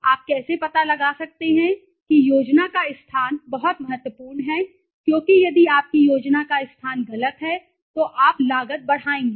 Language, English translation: Hindi, How do you locate the location of the plan is very important because if your location of the plan is wrong you are cost will go on increasing